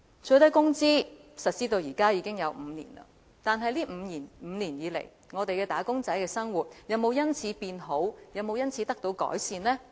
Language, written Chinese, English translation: Cantonese, 最低工資實施至今已5年，在這5年間，"打工仔"的生活有否因此得到改善呢？, The minimum wage has been implemented for five years by now . Has the living of wage earners been improved over the past five years?